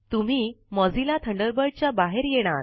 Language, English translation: Marathi, You will exit Mozilla Thunderbird